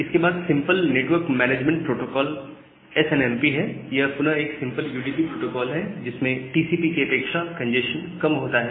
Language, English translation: Hindi, SNMP, the network management protocol or the simple network management protocol it is again a simple UDP protocol which is easily cut through congestion than TCP